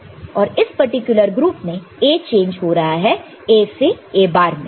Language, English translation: Hindi, And, we know that for this particular group A is changing from A to A bar